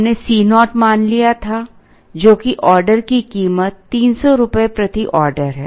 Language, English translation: Hindi, We had assumed C naught which is the order cost as rupees 300 per order